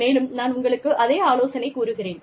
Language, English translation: Tamil, And, i will advise you, the same thing